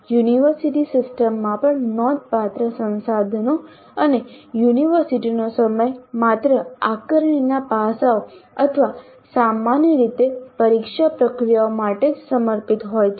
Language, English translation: Gujarati, Even in the university systems, considerable resources and time of the university are devoted only to the assessment aspects or typically the examination processes